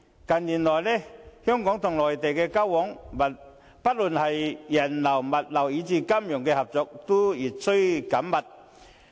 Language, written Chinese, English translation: Cantonese, 近年來，香港與內地的交往，不論是人流、物流以至金融合作，均越趨緊密。, In recent years the exchanges between Hong Kong and the Mainland have become increasingly close in terms of passenger flow logistics and even financial cooperation